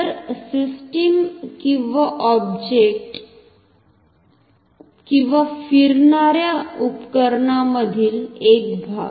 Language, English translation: Marathi, So, the system or the object or the part in the instrument that moves